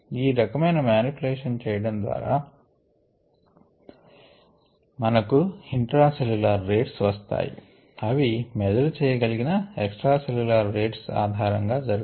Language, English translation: Telugu, so just by doing this kind of a manipulation, we directly get the intracellular rates based on the extracellular rates that can be measured